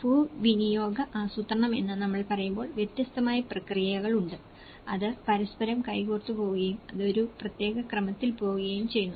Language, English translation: Malayalam, When we say land use planning means obviously, there are different processes, that goes hand in hand to each other and it goes in a particular sequence